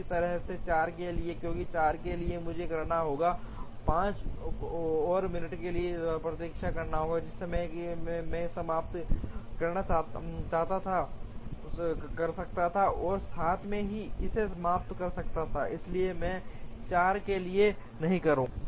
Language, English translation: Hindi, Similarly, for 4, because for 4 I have to wait for 5 more minute, in which time I could finish as well as I could have finished this, so I will not do for a 4